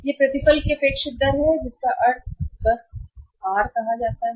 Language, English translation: Hindi, This is expected rate of return which means simply called as r